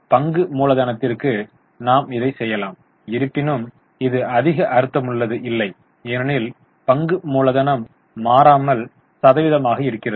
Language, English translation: Tamil, Okay, so we can also do it for share capital although it won't make much sense because share capital is unchanged